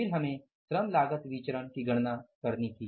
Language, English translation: Hindi, Then we had to calculate the labor cost variance